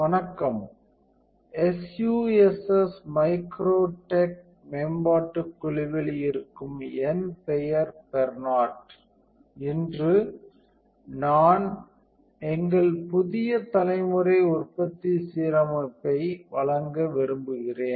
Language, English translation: Tamil, Hello, my name is Bernard from the SUSS MicroTech development team, today I would like to present our new generation of production aligner